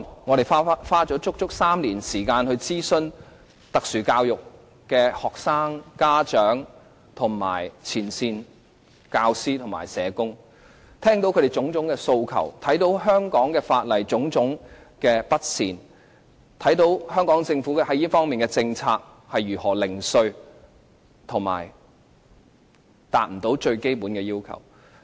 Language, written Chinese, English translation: Cantonese, 我們足足花了3年時間就這項條例草案諮詢有特殊教育需要的學生、家長和前線的教師和社工，聆聽他們的各種訴求，從而看到香港法例的各種不妥善之處，看到香港政府在這方面的政策是如何零碎和不達最基本要求。, When preparing this bill we spent three whole years on consulting students with special education needs parents and frontline teachers and social workers listening to their aspirations . In the process we saw all the inadequacies of the laws in Hong Kong and we also saw the fragmentary policies of the Hong Kong Government in this area and their failure to meet even the most basic needs